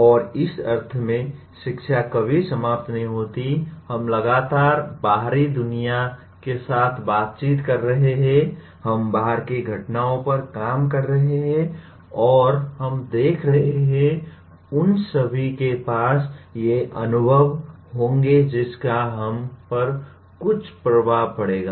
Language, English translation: Hindi, And education in this sense never ends, we are continuously interacting with outside world, we are acting on events outside and we are observing and all of them will have these experiences, will have some influence on us